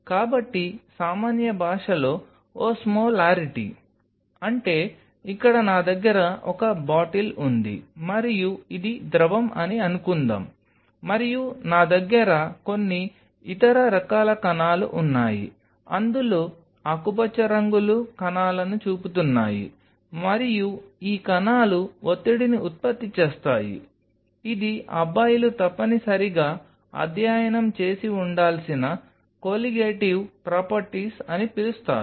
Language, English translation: Telugu, So, Osmolarity in a layman language; that means, suppose here I have a bottle and this is fluid, and I has certain other kind of particles in it the green ones are showing the particles, and these particles generates a pressure which is part of something guys must have studied called Colligative properties of material